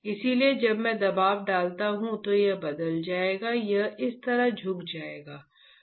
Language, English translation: Hindi, So, when I apply a pressure this will change, this will bend like this